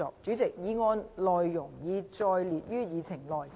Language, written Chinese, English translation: Cantonese, 主席，議案內容已載列於議程內。, President the content of the motion is set out on the Agenda